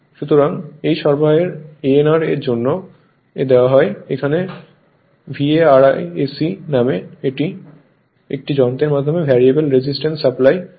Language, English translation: Bengali, So, this supply is given for an your what you call for an instrument called VARIAC, variable resistance supply